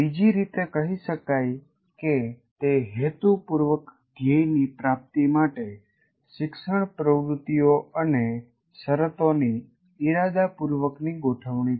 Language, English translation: Gujarati, Or another way of stating, it is the deliberate arrangement of learning activities and conditions to promote the attainment of some intended goal